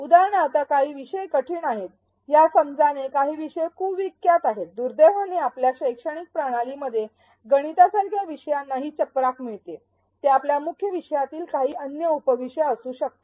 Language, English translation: Marathi, For example, some topics are notorious for it is a perception that some topics are difficult, unfortunately topics like mathematics gets this rap in our educational system, it may be some other subtopic in your main subject